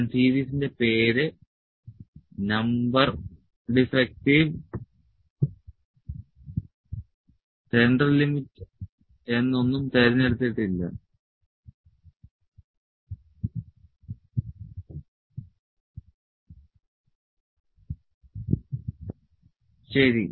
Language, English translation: Malayalam, I have not picked the series name number defective central limit, ok